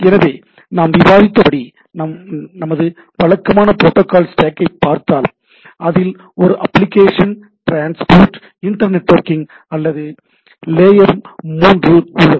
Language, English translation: Tamil, So if we look at our typical protocol stack as we have discussed, that it has a application transport internetworking or layer three